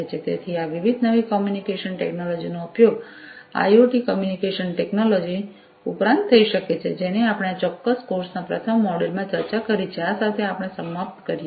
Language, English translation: Gujarati, So, these different newer communication technologies could be used in addition to the IoT communication technology that we have discussed in the first you know in the first module of this particular course, so with this we come to an end